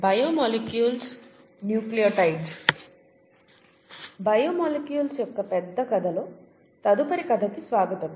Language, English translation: Telugu, Welcome to the next story in the larger story of biomolecules